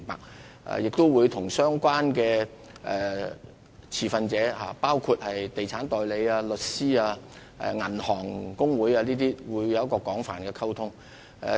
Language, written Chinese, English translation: Cantonese, 政府亦會與相關持份者，包括地產代理、律師和銀行公會等保持廣泛的溝通。, Also the Government will maintain extensive communication with the relevant stakeholders including estate agents lawyers and the Association of Banks